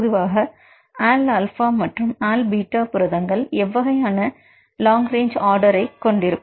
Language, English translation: Tamil, So, generally if you look into the all alpha proteins and all beta proteins how will the LRO vary